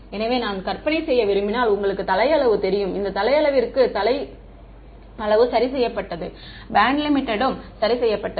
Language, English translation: Tamil, So, if I want to image you know head size, the head size is fixed for this head size the bandlimit is fixed